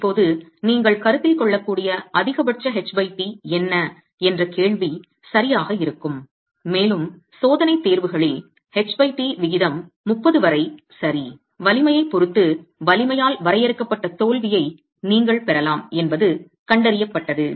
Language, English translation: Tamil, Now, question would be what is the maximum H by T that you can consider and in experimental tests it has been seen that up to a H by T ratio of 30, you can have failure that is limited by the strength depending on the strength